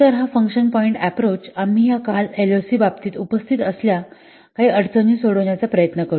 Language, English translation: Marathi, So, this function point approach will try to resolve some of the issues, those we are appeared in case of this LOC